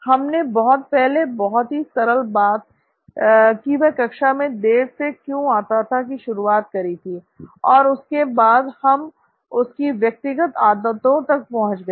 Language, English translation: Hindi, So we started way back there with why was he late to class, a simple thing, and we come down to his personal habits